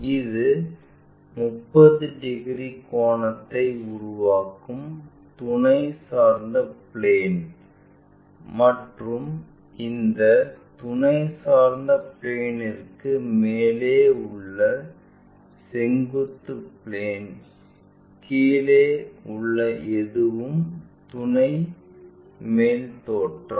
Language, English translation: Tamil, This is the auxiliary inclined plane which is making an angle of 30 degrees and anything above this auxiliary inclined plane is vertical plane, anything below is auxiliary top view we will get